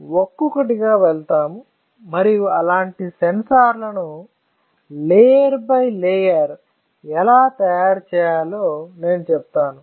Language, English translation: Telugu, So, we will go one by one all right and I will tell you how can it be when we fabricate such a sensor layer by layer